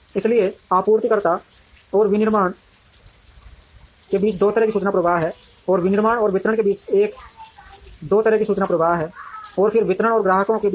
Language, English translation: Hindi, So, there is a two way information flow between suppliers and manufacturing, and there is a two way information flow between manufacturing and distribution, and then between distribution and customers